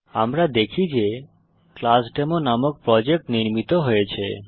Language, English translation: Bengali, We see that the Project ClassDemo is created